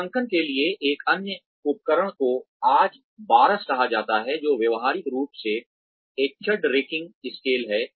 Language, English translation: Hindi, Another tool for appraisal is called the BARS, which is Behaviorally Anchored Rating Scales